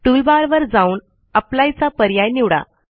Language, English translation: Marathi, Go to the tool bar and click on the apply button